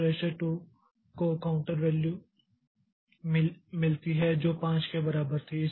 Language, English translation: Hindi, So, register 2 gets the counter value which was equal to 5